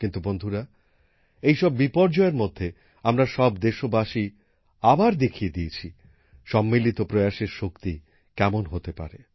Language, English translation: Bengali, But friends, in the midst of these calamities, all of us countrymen have once again brought to the fore the power of collective effort